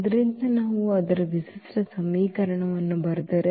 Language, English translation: Kannada, So, if we write down its characteristic equation